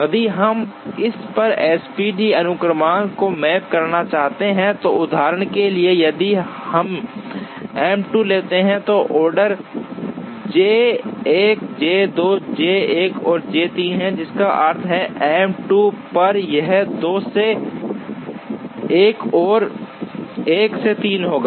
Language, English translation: Hindi, If we want to map the SPT sequence on this, and for example if we take M 2, then the order is J 1 J 2 J 1 and J 3, which means on M 2 it will be 2 to 1 and 1 to three